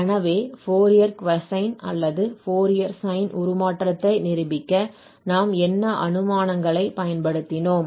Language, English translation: Tamil, Well, so and again the assumptions what we have used for proving this Fourier cosine or Fourier sine transform of f prime